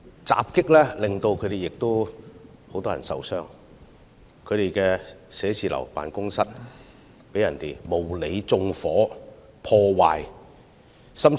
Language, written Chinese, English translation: Cantonese, 襲擊事件令多人受傷，他們的辦公室被人縱火、破壞。, Such attacks have led to the injury of many people and their offices have also been set on fire and vandalized